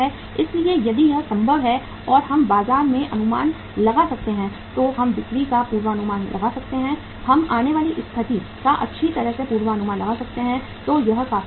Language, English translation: Hindi, So if that is possible and we can estimate the market, we can forecast the sales, we can forecast the coming situation well then it is quite possible